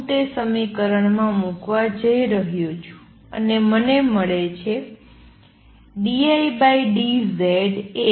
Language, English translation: Gujarati, I am going to substitute that in the equation and I get